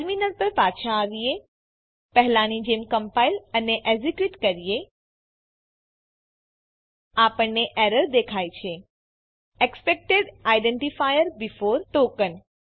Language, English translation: Gujarati, Come back to the terminal Compile and execute as before We see the error: Expected identifier before ( token